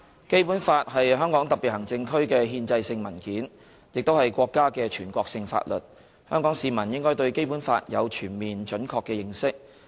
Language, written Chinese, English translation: Cantonese, 《基本法》是香港特別行政區的憲制性文件，亦是國家的全國性法律，香港市民應該對《基本法》有全面、準確的認識。, The Basic Law is the constitutional document of the Hong Kong Special Administrative Region and also a national law of the country . Hong Kong people should have a comprehensive and accurate understanding of the Basic Law